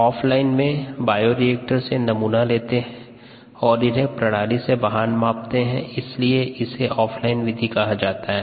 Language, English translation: Hindi, off line, we take a sample from bioreactors and then measure it away from the line or the away from the bioreactor, and that is why it is called off line method